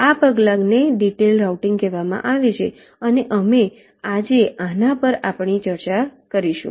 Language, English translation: Gujarati, this step is called detailed routing and we shall be starting our discussion on this today